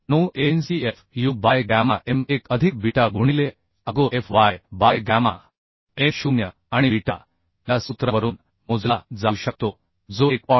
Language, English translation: Marathi, 9Ancfu by gamma m1 plus beta into Agofy by gamma m0 and beta can be calculated from this formula that is 1